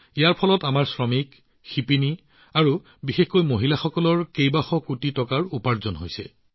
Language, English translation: Assamese, Through that, our workers, weavers, and especially women have also earned hundreds of crores of rupees